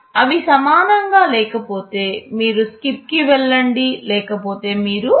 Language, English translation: Telugu, If they are not equal then you go to SKIP otherwise you add